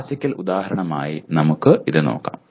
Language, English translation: Malayalam, The classical example is let us look at this